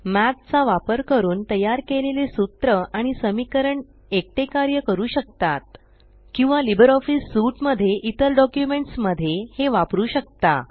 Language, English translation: Marathi, The formulae and equations created using Math can stand alone Or it can be used in other documents in the LibreOffice Suite